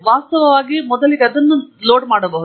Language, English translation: Kannada, In fact, we can load that to begin with